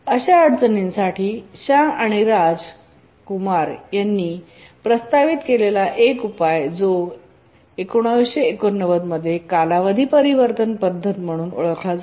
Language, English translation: Marathi, So a solution proposed proposed by Shah and Rajkumar known as the period transformation method, 1998